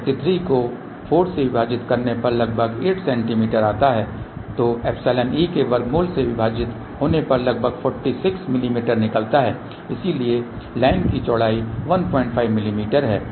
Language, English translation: Hindi, 33 divided by 4 will be let us say approximately 8 centimeter then divided by square root of epsilon e comes out to be a about forty 6 mm , so width of the line is 1